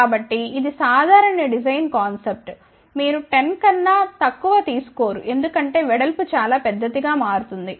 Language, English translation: Telugu, So, that is a general design concept, you do not take less than 10 because then the width will become very very large